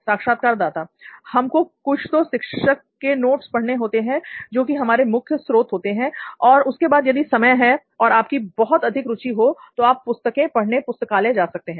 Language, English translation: Hindi, We have to go through some teacher's notes and those are the primary source and after that if you have time and if you are very much interested, you can go to the library and get these books